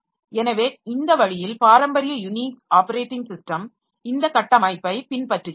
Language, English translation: Tamil, So, this way traditional Unix operating system so they follow the structure